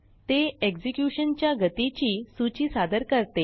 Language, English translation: Marathi, It presents a list of execution speeds